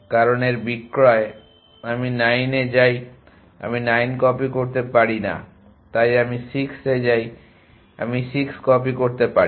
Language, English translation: Bengali, Because its sales I go to 9 I cannot copy 9 so I go to 6 I can copy 6